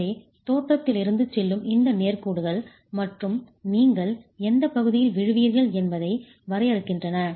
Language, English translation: Tamil, So, these two lines are straight lines that go from the origin and define into which region you would fall